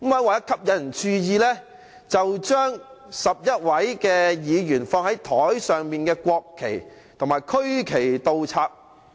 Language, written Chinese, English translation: Cantonese, 為了吸引注意，他便把11位議員放在桌子上的國旗和區旗倒插。, In order to attract attention he inverted the national flags and regional flags on the desks of 11 Members